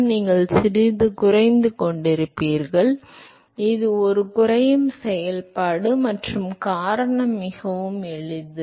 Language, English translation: Tamil, So, you will have a slightly decreasing, it is a decreasing function and the reason is very simple